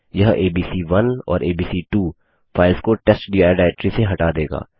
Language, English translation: Hindi, This remove the files abc1 and abc2 from testdir directory